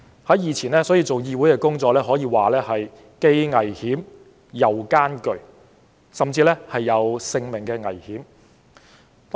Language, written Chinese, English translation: Cantonese, 所以，以前做議會工作可說是既危險又艱巨，甚至有生命危險。, Therefore it could be said that parliamentary work in the past was dangerous and arduous and could even be life - threatening